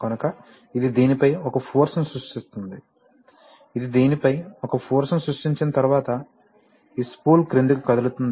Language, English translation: Telugu, So that creates a force on this, once it creates a force on this, this spool will move downward